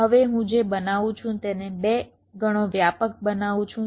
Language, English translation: Gujarati, now, what i make, i make it wider, say by two times